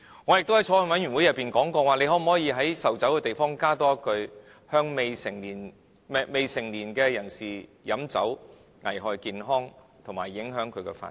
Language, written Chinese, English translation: Cantonese, 我也在法案委員會內提出，可否在售酒的地方加多一句：未成年人士飲酒會危害健康及影響自身發展。, I also proposed to the Bills Committee that one more sentence should be added on the notice displayed on premises that sell liquor Liquor will pose a hazard to the health and the development of minors